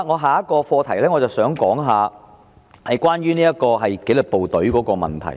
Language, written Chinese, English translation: Cantonese, 下一個課題是關於紀律部隊的問題。, Another topic is about the disciplined services